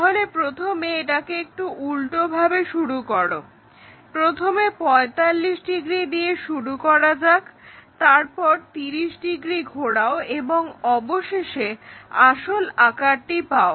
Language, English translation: Bengali, So, first do it in the reverse way from begin with 45 degrees, go for rotation of 30 degrees and finally, obtain this original figure